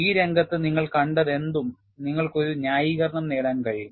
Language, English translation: Malayalam, Whatever you have seen in the field, you are able to get a justification